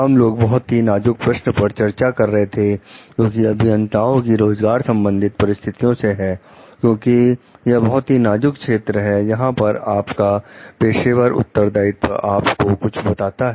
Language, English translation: Hindi, We were discussing the very critical questions regarding employment situations of engineers, because this is a very critical area, where you find your professional responsibility is telling you something